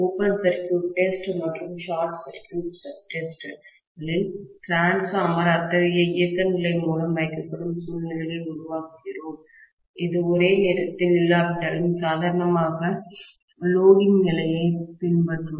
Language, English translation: Tamil, In open circuit test and short circuit tests, we are essentially creating situations such that the transformer is put through such an operating condition which will emulate the normal loading condition, although not simultaneously